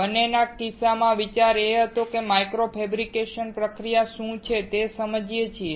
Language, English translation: Gujarati, In both the cases, the idea was that we understand what micro fabrication process is